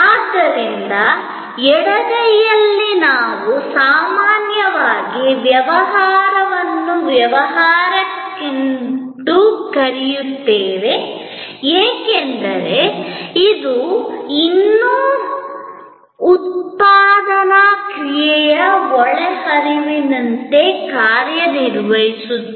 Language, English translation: Kannada, So, on the left hand side the transactions we often call them business to business, because it is still being serving as inputs to a manufacturing process